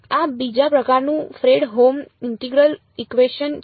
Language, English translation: Gujarati, This is a Fredholm integral equation of second kind